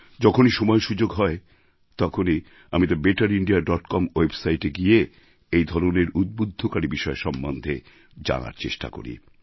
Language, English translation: Bengali, Whenever I get the opportunity, I visit the better India website and try to know more about such shining, inspiring deeds